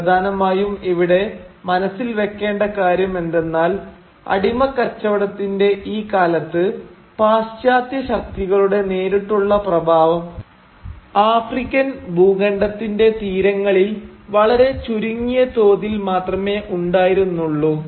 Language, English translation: Malayalam, Now it is important to keep in mind that during this period of slave trade the direct influence of Western powers largely remained limited to the fringes of the African continent